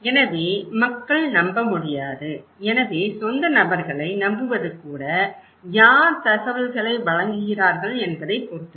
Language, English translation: Tamil, So, people cannot trust, so by own people trust depends on who are the, who is providing the information